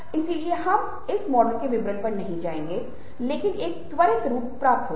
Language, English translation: Hindi, so we will not going to the details of this models, but a quick look would suffice